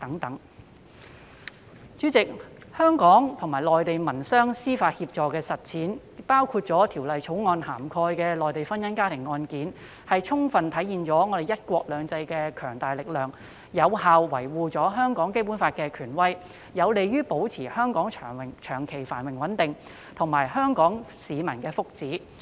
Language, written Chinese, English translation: Cantonese, 代理主席，香港與內地民商事司法協助安排的實踐，包括《條例草案》涵蓋的內地婚姻家庭案件，充分體現了"一國兩制"的強大力量，有效維護香港《基本法》的權威，有利於保持香港長期繁榮安定，以及香港市民的福祉。, Deputy President the implementation of mutual legal assistance arrangements in civil and commercial matters between Hong Kong and the Mainland including matrimonial and family cases in China covered by the Bill fully manifests the great strength of the one country two systems principle upholds the authority of the Basic Law of Hong Kong and is conducive to maintaining the long - term prosperity and stability of Hong Kong and improving the well - being of Hong Kong people